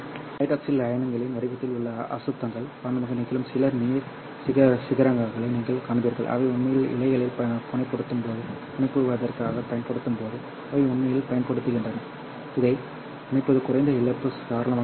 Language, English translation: Tamil, And then you will also see some water peaks, which happens because of the impurities in the form of the hydroxyl ions, which are used actually to, when they are actually being used to fabricate, when the fibers are being fabricated, then connecting this would be the low loss window